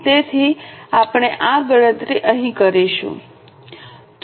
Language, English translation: Gujarati, So, we will do this calculation here